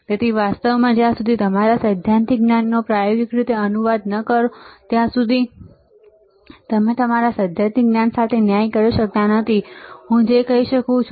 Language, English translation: Gujarati, So, actually it until unless you translate it to experimental your theoretical knowledge you are not doing justice to your theoretical knowledge that is what I can say